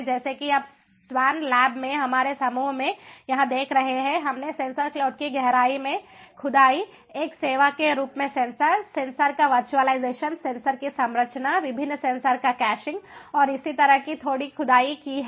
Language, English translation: Hindi, as you see, over here in our group in the swan lab, we have ah a done ah bit of ah, a digging ah into the depth of sensor cloud, sensor sensor as a service, virtualization of sensors, composition of sensors, caching of different sensors and so on